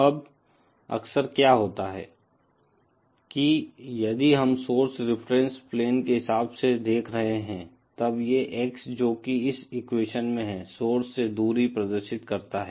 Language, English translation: Hindi, Now often what happens is that if we are calculating from the source reference plane, then this X that we have in this equation represents the distance from the source